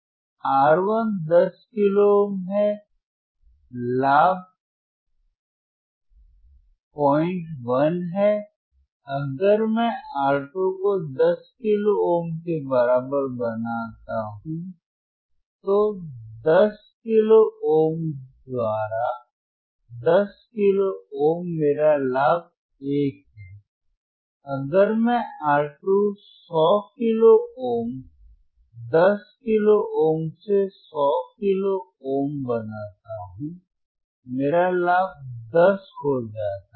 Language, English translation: Hindi, 1, if I make R 2 equals to 10 kilo ohm, 10 kilo ohm by 10 kilo ohm, my gain is 1, if I make R 2 100 kilo ohm , 100 kilo ohm by 10 kilo ohm, my gain becomes 10, right